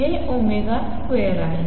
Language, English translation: Marathi, This is omega square omega square